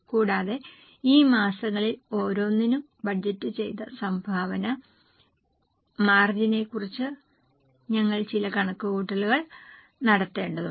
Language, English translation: Malayalam, Further, we are also to make some calculation about budgeted contribution margin for each of these months